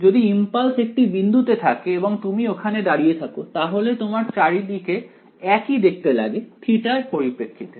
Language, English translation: Bengali, If the impulse is at one point and you are standing over there everything around you looks the same with respect to theta right